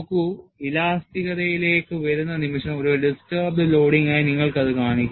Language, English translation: Malayalam, See, the moment you come to elasticity, you show that as a distributed loading